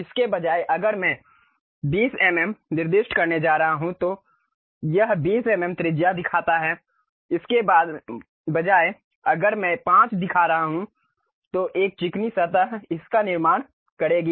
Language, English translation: Hindi, Instead of that, if I am going to specify 20 mm, it shows 20 mm radius; instead of that if I am showing 5, a smooth surface it will construct